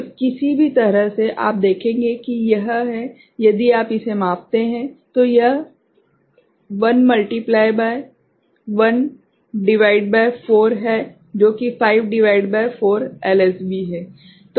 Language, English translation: Hindi, So, either way, you will see that it is, if you just measure it, it is plus 1 into 1 upon 4 that is 5 by 4 LSB